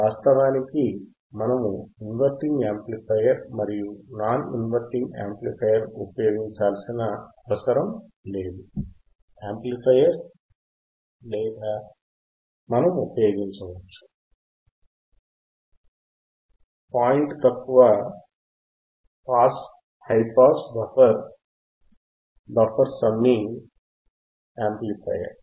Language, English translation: Telugu, Actually, we areneed not usinge inverting amplifier and non inverting amplifier or we can use, the point is low pass high pass goes to buffer, buffer to a summing amplifier